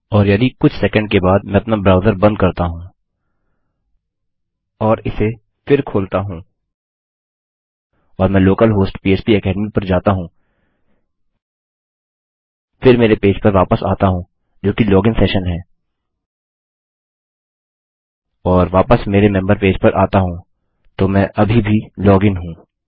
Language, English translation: Hindi, And in some second starts if I close my browser and reopen it and I go to local host php academy then go back to my page which is the login session and back to my member page Im still logged in